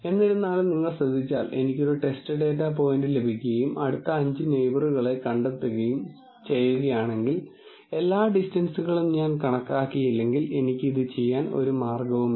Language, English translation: Malayalam, However, if you notice, if I get a test data point and I have to find let us say the 5 closest neighbor, there is no way in which I can do this, it looks like, unless I calculate all the distances